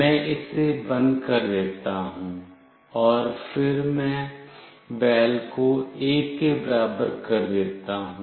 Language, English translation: Hindi, I make it off, and then I make “val” equals to 1